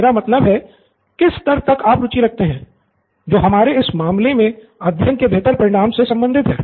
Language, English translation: Hindi, I mean the level that you are interested in, which in this case is for better learning outcomes